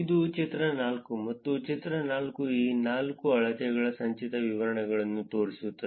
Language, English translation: Kannada, This is figure 4, figure 4 shows the cumulative distributions of these four measures